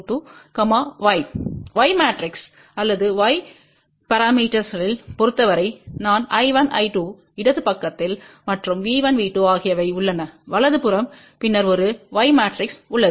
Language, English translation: Tamil, In terms of Y matrix or Y parameters we have I 1, I 2 on the left side and V 1, V 2 or on the right side and then there is a Y matrix